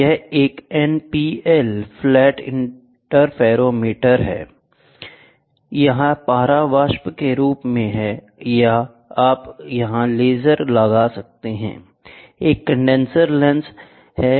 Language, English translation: Hindi, So, you have this is an NPL flat interferometer, mercury vapour is there or you can put a laser there, a condenser lens is there